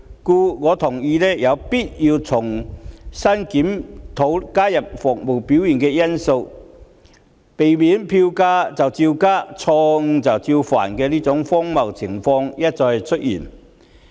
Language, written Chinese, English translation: Cantonese, 故此，我同意有必要重新檢討，加入服務表現的因素，避免票價照加、錯誤照犯的荒謬情況一再出現。, Therefore I agree that it is necessary to review the mechanism and include service performance as a factor so as to pre - empt the recurrence of such an absurd situation in which MTRCL keeps on increasing the fares despite repeated blunders